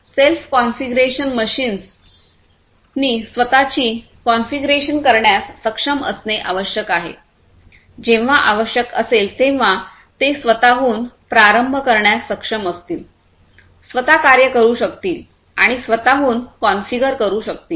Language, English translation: Marathi, Self configuration the machines should be able to self configure whenever required this would be able to start up on their own, work on their own, configure on their own and so, on